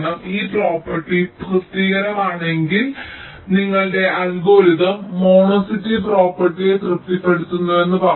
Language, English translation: Malayalam, if this property satisfied, you can say that your algorithm satisfies the monotonicity property